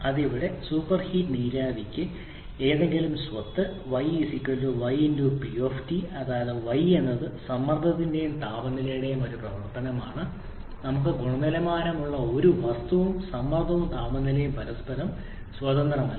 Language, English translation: Malayalam, Yes for super heated vapor here any property y,y is a function of both pressure and temperature we do not have any quality kind of thing and pressure and temperature independent of each other